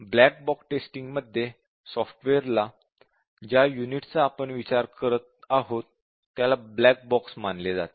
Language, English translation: Marathi, In the black box approach, the software is actually, the unit that we are considering, is considered as a black box